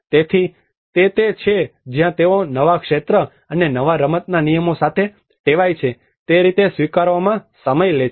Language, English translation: Gujarati, So that is where it takes time to adapt to the way they have to accustom with the new field and new game rules